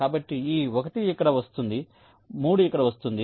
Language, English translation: Telugu, so this one comes here, three comes here